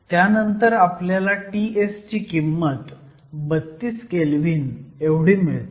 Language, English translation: Marathi, And if we do this, we get a value of T s to be approximately 32 Kelvin